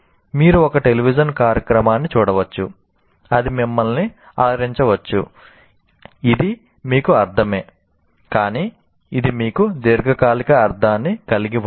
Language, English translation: Telugu, You may watch a television program, it may entertain you, it makes sense to you, but it doesn't make, it has no long term meaning for you